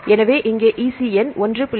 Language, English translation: Tamil, So, here I give the EC number 1